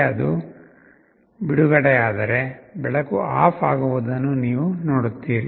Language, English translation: Kannada, You see if it is released again light will turn off